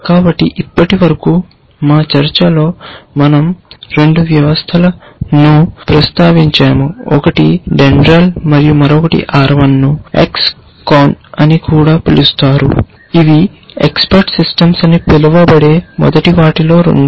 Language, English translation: Telugu, So, far in our discussions we have already mentioned 2 systems, one is Dendral and the other one is R 1 also known as X CON which were supposed to be 2 of the first so called expert systems